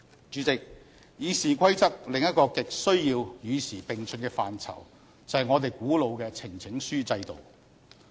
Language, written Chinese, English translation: Cantonese, 主席，《議事規則》另一個亟需要與時並進的範疇，就是我們古老的呈請書制度。, President another aspect of the Rules of Procedure which desperately needs to be updated is our age - old system of petition